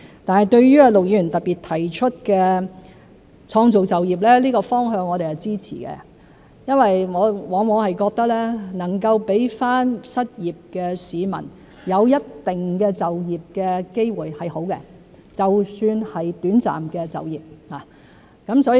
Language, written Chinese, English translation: Cantonese, 對於陸議員特別提出的創造就業，這個方向我們支持，因為我們往往覺得能夠讓失業市民有一定的就業機會是好的，就算是短暫的就業。, As regards the creation of jobs particularly proposed by Mr LUK we support this direction because we always hold that it is good for the unemployed workers to have certain job opportunities even though the jobs are temporary